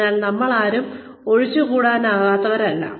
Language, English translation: Malayalam, So, none of us are indispensable